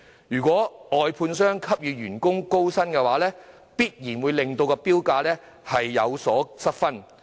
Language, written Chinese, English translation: Cantonese, 如果外判商給予員工較高薪酬，必然會令投標價上升，因而失分。, If an outsourced service contractor offers higher wages to its staff the bidding price will definitely rise and thus lose scores